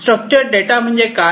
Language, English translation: Marathi, Structure data means what